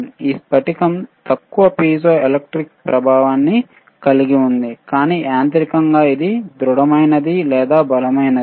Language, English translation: Telugu, and tThis crystal ishas atthe least piezoelectric effect, but mechanically it is robust or strongest